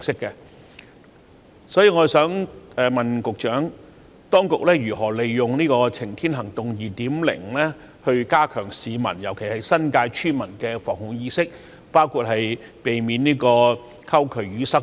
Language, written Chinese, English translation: Cantonese, 就此，我想問局長，當局會如何利用"晴天行動 2.0"， 加強市民，特別是新界村民的防護意識，包括避免溝渠淤塞等？, In this connection may I ask the Secretary how the authorities will make use of Safer Living 2.0 to enhance the public awareness of adopting preventive and protective measures especially among villagers in the New Territories including measures for preventing blockage of channels and drains?